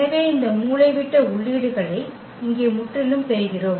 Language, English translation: Tamil, So, we are getting these diagonal entries absolutely the same here 2 2 8